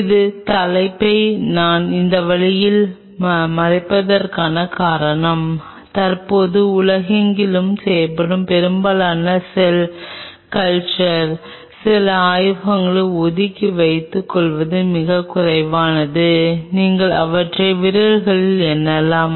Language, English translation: Tamil, The reason I am covering this topic in this way because most of the cell culture, which is done currently across the world baring aside few labs very few means you can pretty much count them in the fingers